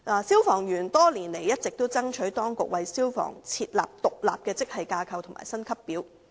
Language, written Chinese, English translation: Cantonese, 消防員多年來一直爭取當局為他們設立獨立的職系架構及薪級表。, Firemen have striven for the establishment of an independent grade structure and pay scale for years